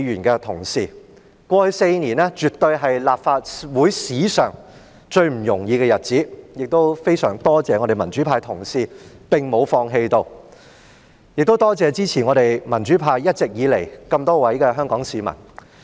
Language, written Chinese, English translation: Cantonese, 過去4年，絕對是立法會史上最不容易的日子，我非常多謝民主派的同事沒有放棄，也多謝一直以來支持民主派的眾多香港市民。, The past four years are absolutely the most difficult time in the history of the Legislative Council . I am very grateful to colleagues of the pro - democracy camp for their persistence and I thank the many Hong Kong people who have always been supportive of the pro - democracy camp